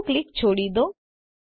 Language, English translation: Gujarati, Release left click